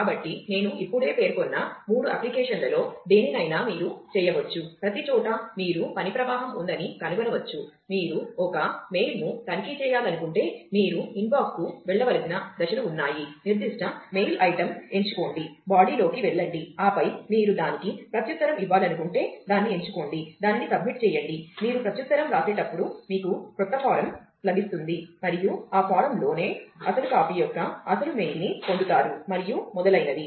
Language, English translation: Telugu, So, you can any of the 3 application that I just mentioned, everywhere you can find that there is a work flow, if you are want to check a mail then, there is a steps that you need to do go to the inbox, chose the particular mail item, get the body and then if you want to reply to that, select that, the submit that, you get a get a new form when you write the reply, and within that form you get the original copy of the original mail and so on